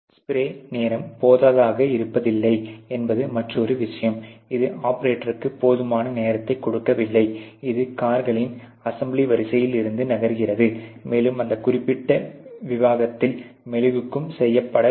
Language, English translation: Tamil, And then obviously, spray time insufficient is another that you don not give it enough time the operator, it is an assembly line of cars which is moving, and obviously, the waxing is also to be done at that particular rate